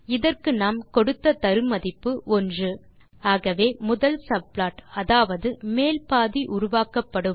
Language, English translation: Tamil, In this case we passed 1 as the argument, so the first subplot that is top half is created